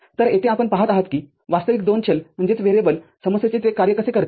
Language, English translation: Marathi, So, here you see how it actually works out for a two variable problem